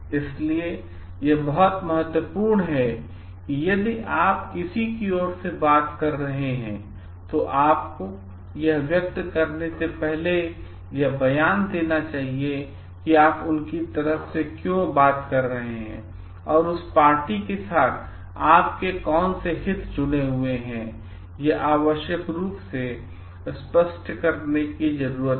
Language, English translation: Hindi, So, it is very important like if you are talking on behalf of someone, you should be expressing that before you make that statement and why we are taking on behalf of that, what is your interest association with that party needs to be clarified